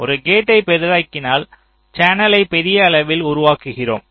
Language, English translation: Tamil, so if you are give making a gate larger, you are making the channel larger in size